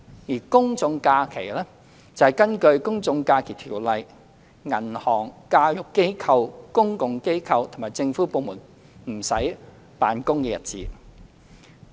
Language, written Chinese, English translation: Cantonese, 而公眾假期，則是根據《公眾假期條例》銀行、教育機構、公共機構及政府部門不用辦公的日子。, As regards general holidays they are the days on which under the General Holidays Ordinance shall be kept as holidays by banks educational establishments public offices and government departments